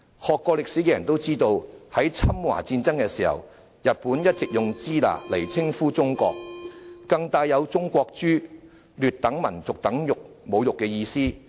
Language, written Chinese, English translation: Cantonese, 學過歷史的人都知道，在侵華戰爭的時候，日本一直用"支那"來稱呼中國，更帶有"中國豬"、劣等民族等侮辱意思。, People who have studied history will know that during the war of aggression on China Japan had been addressing China as Shina which also carries the derogatory meaning of Chinese pigs and an inferior nation